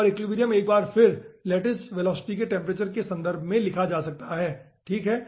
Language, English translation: Hindi, okay, and equilibrium, once again, can be written in terms of the temperature of the lattice velocity